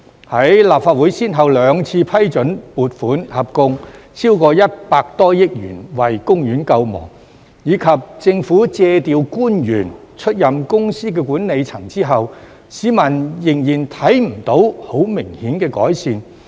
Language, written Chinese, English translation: Cantonese, 在立法會先後兩次批准撥款合共超過100多億元為公園救亡，以及政府借調官員出任公司的管理層後，市民仍然未能看到很明顯的改善。, The Legislative Council has twice granted funding approval of a total of more than 10 - odd billion to save the Park and the Government has seconded officials to the management of the Corporation but the public has yet to see any marked improvements . Take Water World for an example